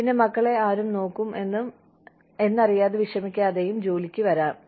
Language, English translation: Malayalam, And, then also, come to work without bothering, or without worrying as to, who will look after their children